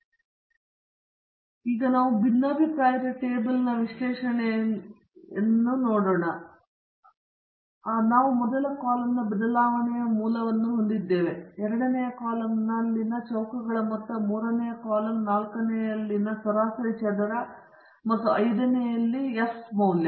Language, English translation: Kannada, So, again we come to the very familiar by now analysis of variance table, where we have the source of variation in the first column, sum of squares in the second column, degrees of freedom in the third column, mean square in the fourth, and the F value in the fifth